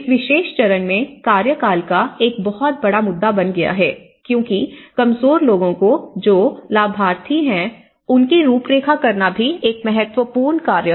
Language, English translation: Hindi, And the tenure has become a big issue in this particular phase, because and also profiling the vulnerable people who are the beneficiaries, is also important as task